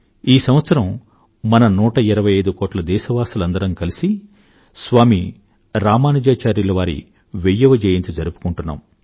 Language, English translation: Telugu, This year, we the hundred & twenty five crore countrymen are celebrating the thousandth birth anniversary of Saint Ramanujacharya